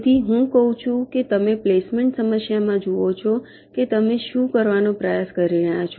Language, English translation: Gujarati, so what i say is that you see, ah, in the placement problem, what are you trying to do